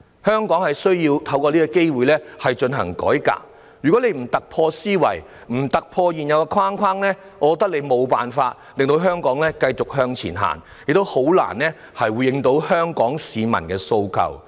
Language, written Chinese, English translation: Cantonese, 香港需要藉這次機會進行改革，如果政府不突破舊有思維，不突破現有的框架，我認為政府將無法令香港繼續向前走，亦難以回應香港市民的訴求。, Hong Kong needs to take this opportunity to carry out a reform . If the Government does not break away from the old mindset and the existing framework I do not think the Government will be able to move forward . It can also hardly address the aspirations of the people of Hong Kong